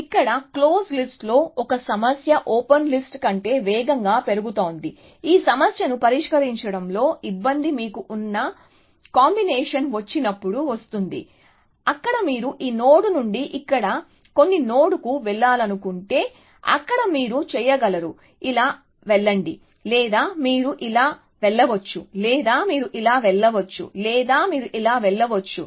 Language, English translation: Telugu, So here, is one problem with the close list is growing faster than the open list, the difficulty in solving this problem comes when the combinations which you have, there if you want to go from this node to some node here, there are you can go like this; or you can go like this; or you can go like this; or you can go like this